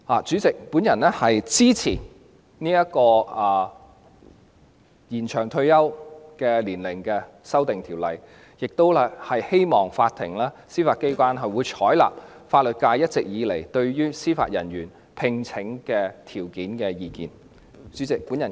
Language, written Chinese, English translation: Cantonese, 主席，我支持《2019年司法人員條例草案》，亦希望法庭及司法機構會採納法律界一直以來就司法人員聘任條件所提出的意見。, President I support the Judicial Officers Amendment Bill 2019 and also hope that the Court and the Judiciary will heed the views advanced by the legal profession all along on the conditions of appointment of Judicial Officers